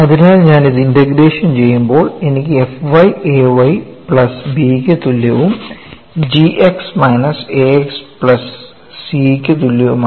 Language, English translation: Malayalam, So, when I integrate this, I get f of y equal to A y plus B and g of x equal to minus A x plus C and these are constants; they are constants of integration